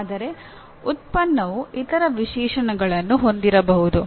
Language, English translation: Kannada, But a product may have other specifications